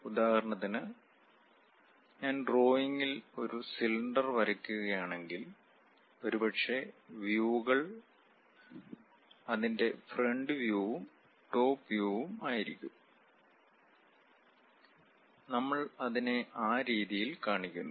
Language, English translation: Malayalam, For example, if I am drawing a cylinder; in drawing if I would like to represent, perhaps the views will be the front view and top view of that, we represent it in that way